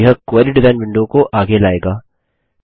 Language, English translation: Hindi, This brings the Query design window to the foreground